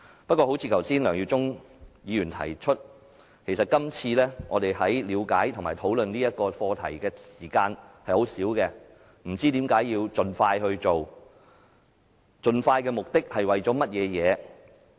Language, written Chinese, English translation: Cantonese, 不過，正如梁耀忠議員剛才提到，其實今次我們在了解和討論本課題的時間很少，而且不知為何要盡快進行，究竟盡快的目的是為了甚麼？, However as Mr LEUNG Yiu - chung has pointed out just now we do not have much time to understand and discuss the subject . Moreover we are not advised as to why this must be done so rush . After all why do we have to rush this?